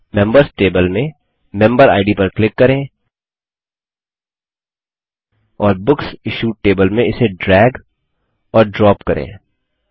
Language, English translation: Hindi, Click on the Member Id in the Members table and drag and drop it in the Books Issued table